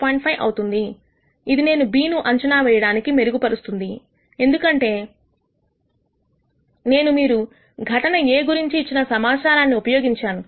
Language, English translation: Telugu, 5 which has improved my ability to predict B, because I have used some information you have given about point event A